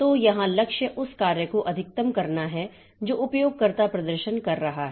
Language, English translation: Hindi, So, here the goal is to maximize the work that the user is performing